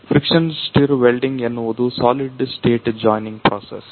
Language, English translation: Kannada, So, friction stir welding is a solid state joining process